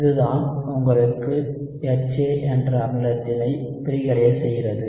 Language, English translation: Tamil, This is what gives you the acid dissociation of the acid HA